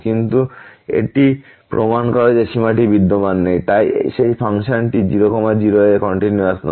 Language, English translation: Bengali, But this proves that the limit does not exist and hence that function is not continuous at